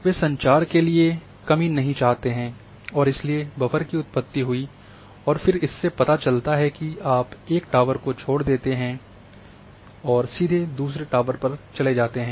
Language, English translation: Hindi, So, they do not want the gap for the communication and therefore, the buffers are generated and then one know that you leave one tower go directly into another tower